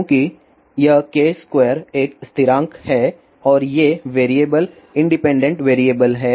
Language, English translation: Hindi, Since this k square is a constant and these variables are independent variables